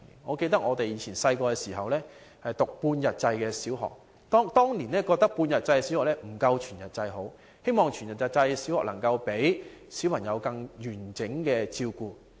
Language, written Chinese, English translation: Cantonese, 我記得我們小時候上半日制小學，不少市民大眾當年認為半日制小學不及全日制，希望全日制小學能夠讓小朋友得到更全面照顧。, I recall we studied in bi - sessional primary schools when we were small . At that time quite many people considered whole - day schooling better than bi - sessional primary schools for they thought that whole - day primary schools could give their children more comprehensive care